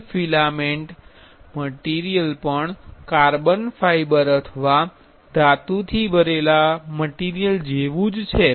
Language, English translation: Gujarati, Wood filament material also similar to the carbon fiber or metal filled material